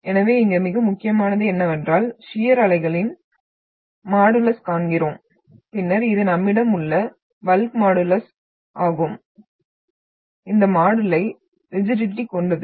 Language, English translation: Tamil, So most important here is what we see the shear wave of modulus of shear wave and the and then this one is the bulk modulus we are having and this is the module is of rigidity